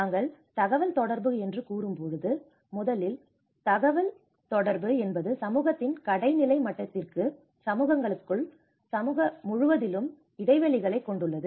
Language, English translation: Tamil, When we say the communication, communication first of all there are gaps within the horizontal level of community, within the communities also, across the communities